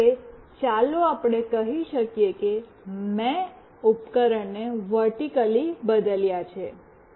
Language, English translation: Gujarati, Now, let us say I have changed devices vertically